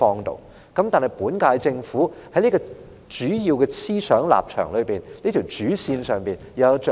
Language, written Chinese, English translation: Cantonese, 可是，本屆政府就理財方面的主要思想和立場有甚麼着墨？, In contrast what has the current - term Government said about its principal ideology and stance on financial management?